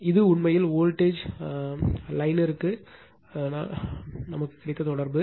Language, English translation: Tamil, So, this is actually our relationship that is line to voltage